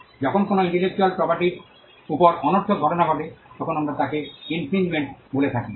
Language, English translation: Bengali, When trespass happens on an intellectual property then we call that by the word infringement